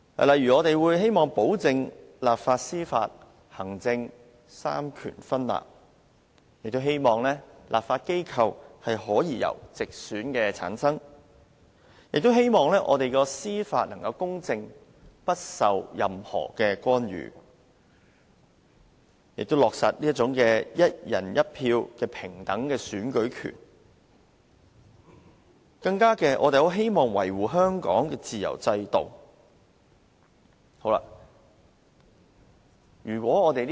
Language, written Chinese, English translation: Cantonese, 例如，我們希望保證行政、立法、司法三權分立，希望立法機構所有議席由直選產生，亦希望我們的司法體制能公正，不受任何干預，希望落實"一人一票"的平等選舉權，更希望維護香港的自由制度。, For example we hope that the separation of executive legislative and judicial powers can be guaranteed that all seats in the legislature be returned by direct election that our judicial system can remain impartial and free from any intervention that a fair election through one person one vote can be implemented and that the free systems in Hong Kong can be safeguarded